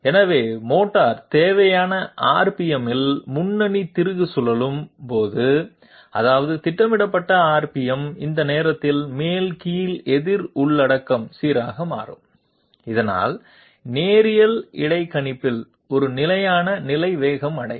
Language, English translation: Tamil, So that when the motor is rotating the lead screw at the required RPM that means the programmed RPM, at that time the down counter content becomes steady so that in linear interpolation a steady state speed is reached